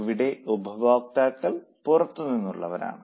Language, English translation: Malayalam, And here the users are internal users